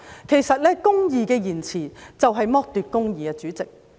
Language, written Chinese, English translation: Cantonese, 其實，公義的延遲就是剝奪公義，主席。, In fact justice delayed is justice denied Chairman